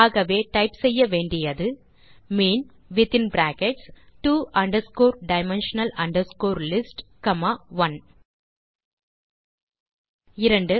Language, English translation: Tamil, So we have to type mean within brackets two dimensional list comma 1 2